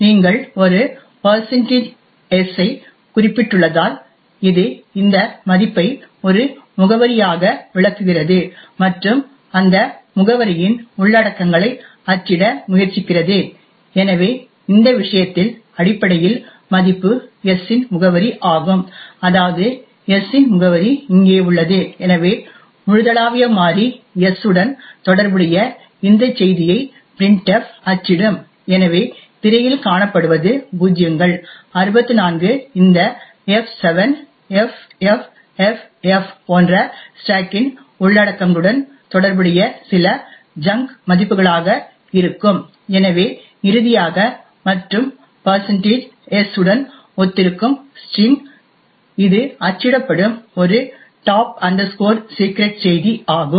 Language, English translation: Tamil, So in our case this value is essentially is the address of s that is the address of s which is present here and therefore printf will print this message corresponding to the global variable s, so what is seen on the screen would be certain junk values corresponding to the contents of the stack like the zeroes, 64 this f7 ffff and so on and finally corresponding to the %s will be the string this is a top secret message being printed